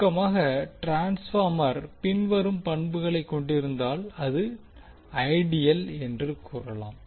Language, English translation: Tamil, So to summaries we can say the transformer is said to be ideal if it has the following properties